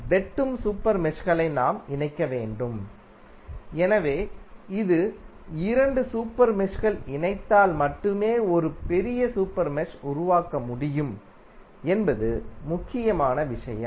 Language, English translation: Tamil, We have to combine the super meshes who are intersecting, so this is important thing that if two super meshes are intersecting then only we can create a larger super mesh